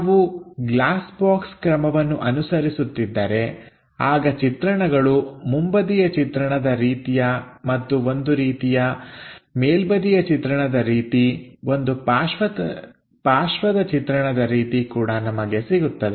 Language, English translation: Kannada, If we are using glass box method, then the view will be something like front view and something like the top view and there will be something like a side view also we will get